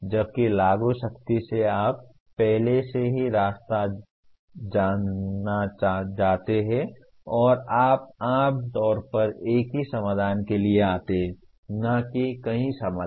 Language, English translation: Hindi, Whereas apply is strictly you already the path is known and you generally come to a single point solution, not multiple solution